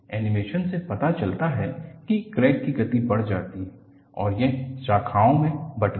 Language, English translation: Hindi, The animation shows that, crack speed increases and it branches out